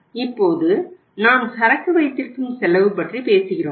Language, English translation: Tamil, Now we talk about the holding cost